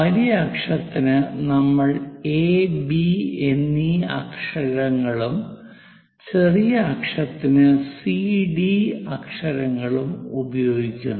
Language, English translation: Malayalam, On major axis, the letter is A and B; on minor axis, the letters are C and D